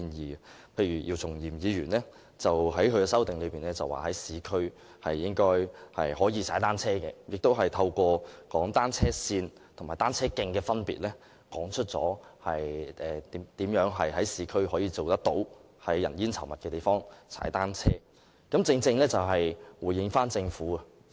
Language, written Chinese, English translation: Cantonese, 舉例而言，姚松炎議員在其修正案提出應容許在市區踏單車，亦透過闡述單車線與單車徑的分別，說明如何能在市區人煙稠密的地方踏單車，正能回應政府的說法。, For example Dr YIU Chung - yim proposed in his amendment that cycling should be permitted in the urban areas and explained how people may cycle in the densely populated urban areas through an elaboration of the difference between cycle lanes and cycle tracks which is precisely a response to the remarks of the Government